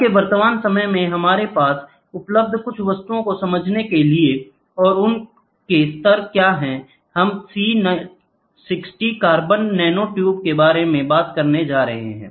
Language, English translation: Hindi, Some of the just for your understanding some of the objects which are present today and what are their levels so, C60 what we talk about carbon nanotubes